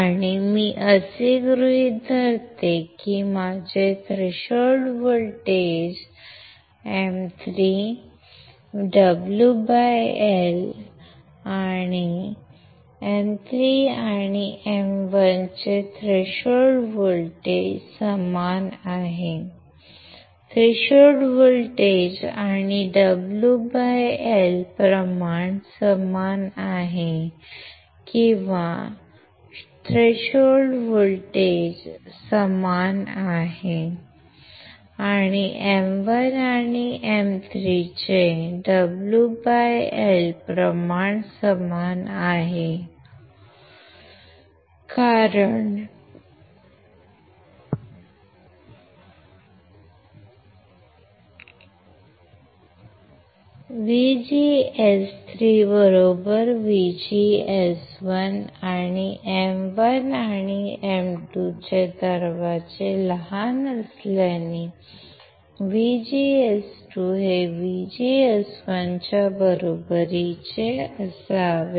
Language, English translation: Marathi, And I assume that my threshold voltage of M 3, W by L and threshold voltage of M 3 and M 1 is same , threshold voltage and W by L ratio are same or threshold voltage is same and W by L ratio is same, of what M1 and M 3 in this case, since VGS 3 equals to VGS1, and since gates of M1 and M 2 are shorted, since M1 and M 2 are shorted; that means, that VGS 2 should be equals to VGS1